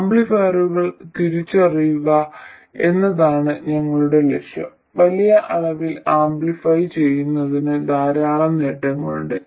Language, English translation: Malayalam, That is, our aim is to realize amplifiers and amplifying by a large amount has lots of benefits